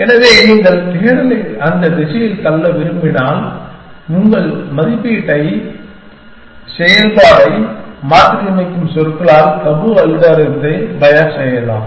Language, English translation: Tamil, So, if you want to push the search into that direction, you can bios the tabu algorithm by sayings that modify your valuation function